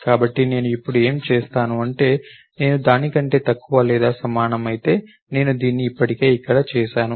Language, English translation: Telugu, So, what would I do now, while i less than or equal to I have already done this over here